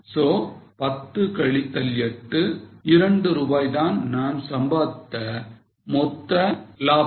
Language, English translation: Tamil, So, 10 minus 8, 2 rupees per unit basis is your contribution